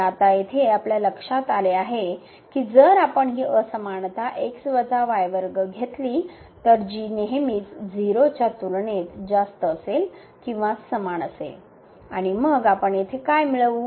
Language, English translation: Marathi, So, we notice here now that if you take this inequality minus whole square which is always greater than or equal to 0 because of the square here and then what do we get here